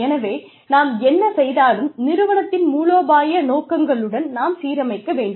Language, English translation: Tamil, So, we need to align, whatever we do, with the strategic objectives of the organization